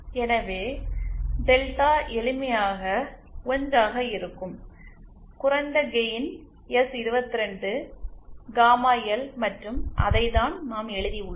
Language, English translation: Tamil, So, then delta will simply be 1 the low gain product which is S22 gamma L and that is what we have written